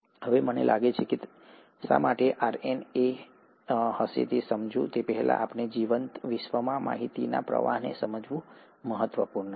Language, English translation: Gujarati, Now before I get to why we think it would have been RNA, it's important to understand the flow of information in a living world